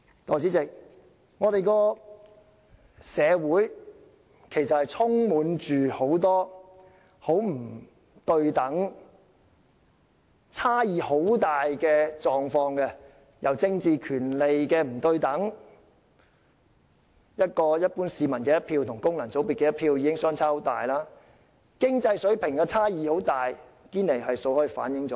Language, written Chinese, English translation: Cantonese, 代理主席，我們的社會充斥着很多不對等、差異甚大的狀況，政治權利不對等，一般市民的一票與功能界別的一票已經相差很大；經濟水平上的巨大差異，亦已從堅尼系數反映出來。, Political rights are unequal . A vote of an ordinary citizen is already vastly different from a vote in the functional constituency . The huge difference at the financial level has also been reflected by the Gini Coefficient